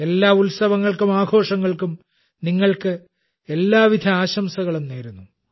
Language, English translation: Malayalam, Many best wishes to all of you for all these festivals too